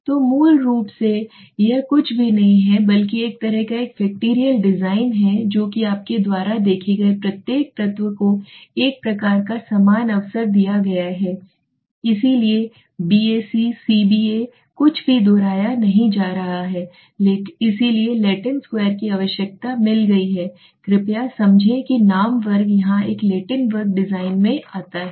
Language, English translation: Hindi, So basically it is nothing but a kind of a factorial design only right so you what has happened every element you see has been given there is a kind of equal opportunity so B A C, C B A nothing is being repeated okay so Latin Square has got one requirement please understand that is why the name square comes into here so a Latin square design